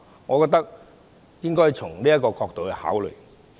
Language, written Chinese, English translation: Cantonese, 我覺得應該從這個角度來考慮。, I believe we should consider the matter from this perspective